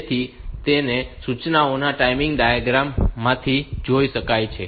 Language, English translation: Gujarati, So, that can be seen from the timing diagram of the instructions